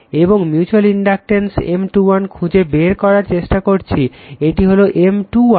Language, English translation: Bengali, And we are trying to find out the mutual inductance M 2 1 that is that is this one M 2 1